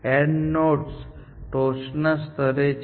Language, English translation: Gujarati, The AND node is at top level